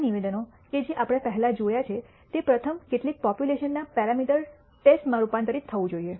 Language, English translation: Gujarati, The statements that previously we saw have to be first converted into a test of a parameter of some population